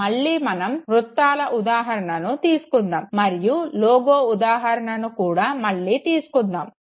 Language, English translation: Telugu, Once again we will continue with the example of circles and then again take an example of a logo